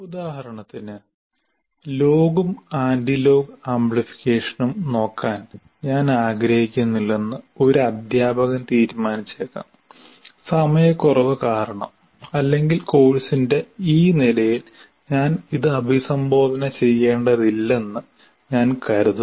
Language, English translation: Malayalam, For example, a teacher may decide that I don't want to look at log and anti log amplification because for the lack of time or I consider at the first level of, at this level of this course, I don't need to address that